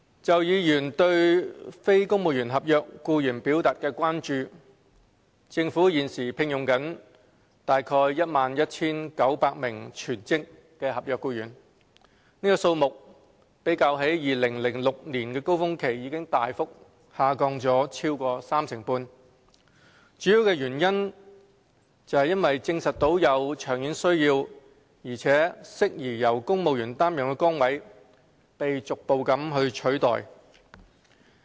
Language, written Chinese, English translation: Cantonese, 就議員對非公務員合約僱員表達的關注，政府現正聘用約 11,900 名全職合約僱員，數目較2006年高峰期已大幅下降超過三成半，主要原因是證實有長遠需要並適宜由公務員擔任的崗位被逐步取代。, As regards the concerns expressed by Honourable Members about non - civil service contract NCSC staff the Government is now employing approximately 11 900 full - time contract staff . Compared with the peak of 2006 the number has dropped drastically by more than 35 % mainly because posts which have been proved to have long - term needs and are suitable to be taken up by civil servants have gradually been replaced